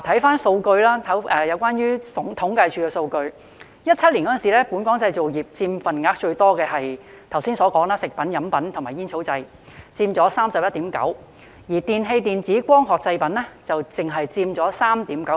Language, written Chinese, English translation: Cantonese, 看看政府統計處的數據 ，2017 年本港製造業中佔份額最多的就是剛才提到的"食品、飲品及煙草製品"，佔 31.9%， 而"電器、電子及光學製品"只佔 3.9%。, The data from the Census and Statistics Department indicate that the largest share of Hong Kongs manufacturing industries in 2017 was food beverage and tobacco I mentioned earlier which accounted for 31.9 % while electrical electronic and optical products only accounted for 3.9 %